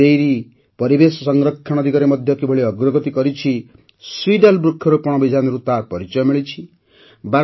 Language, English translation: Odia, How Banas Dairy has also taken a step forward in the direction of environmental protection is evident through the Seedball tree plantation campaign